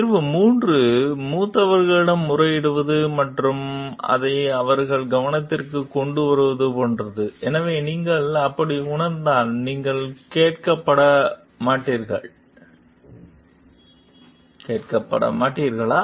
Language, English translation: Tamil, Solution 3 like appealing seniors and bringing it to their notice; so, but what in case if you feel like, you will not be heard